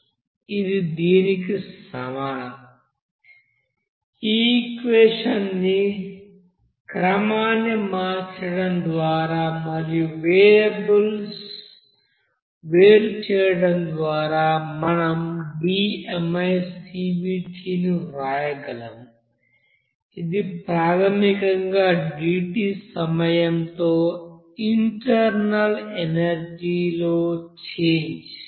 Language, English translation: Telugu, That will be is equal to Now rearranging this equation and separate variables, separating variables we can write d, this is basically internal energy change with respect to time dt